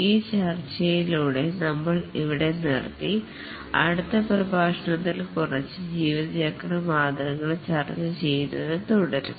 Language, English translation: Malayalam, With this discussion we will just stop here and continue discussing a few more lifecycle models in the next lecture